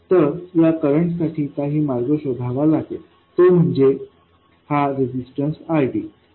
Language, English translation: Marathi, So there has to be some path for this current and that is this resistance, RD